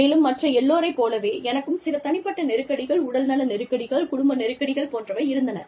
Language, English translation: Tamil, And, like anyone else, i also had some personal crises, health crises, family crises